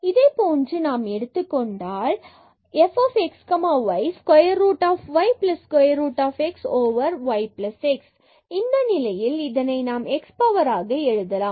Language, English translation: Tamil, Similarly, if we consider this 1 f x y is equal to square root y plus square root x over y plus x